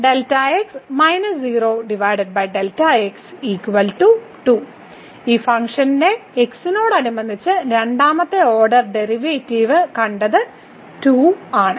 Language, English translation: Malayalam, So, what we have seen the second order derivative with respect to of this function is 2